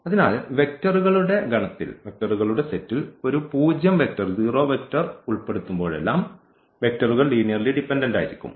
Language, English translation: Malayalam, So, whenever we have a zero vector included in the set of these vectors then these vectors are going to be linearly dependent